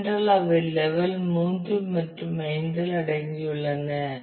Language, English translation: Tamil, Because, they are they got subsumed in level 3 and 5